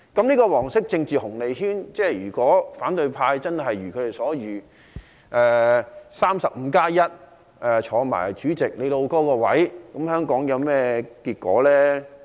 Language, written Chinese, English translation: Cantonese, 這個"黃色政治紅利圈"，如果真的一如反對派所料，取得 "35+1" 的議席，再當上主席"老兄"的位置，香港會有甚麼結果呢？, Regarding the yellow political dividend circle should the opposition camp secure the expected 351 seats and take over the position of President what would happen to Hong Kong?